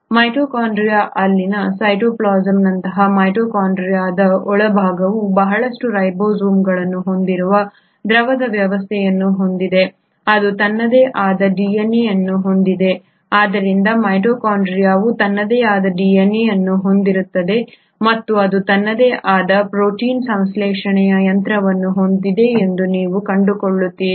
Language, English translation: Kannada, What you also find is that the inner part of the mitochondria like cytoplasm in mitochondria has a fluidic arrangement which has a lot of ribosomes, it has its own DNA so mitochondria consists of its own DNA and it has its own protein synthesising machinery, you find it present or suspended in section of mitochondria which is called as the matrix